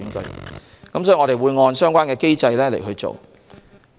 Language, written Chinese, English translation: Cantonese, 因此，我們會按相關機制行事。, Therefore we will act under the relevant mechanism